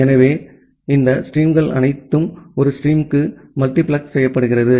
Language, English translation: Tamil, So, here all these streams are getting multiplexed to a single stream